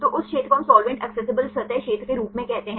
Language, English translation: Hindi, So, that area we call as solvent accessible surface area right